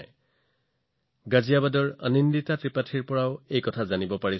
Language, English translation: Assamese, I have also received a message from Anandita Tripathi from Ghaziabad